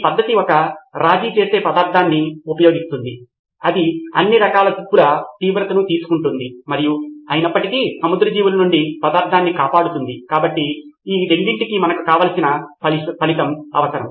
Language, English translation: Telugu, That is using a sacrificial material which would take on the brunt of all the corrosion and still protect the material from marine life So we needed that desired result for these two